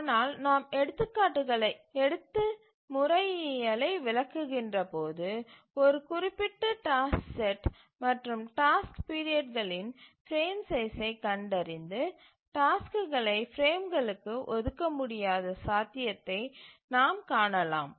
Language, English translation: Tamil, But as we take examples and explain the methodology, we will find that it may be possible that with a given set of tasks and task periods we may not be able to find a frame size and assign tasks to frames